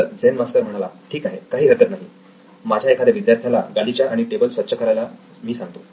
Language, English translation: Marathi, So Zen Master said it’s okay, I will get one of my students to fix the carpet and the table